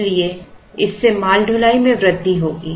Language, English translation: Hindi, So, that would that would result in increased freight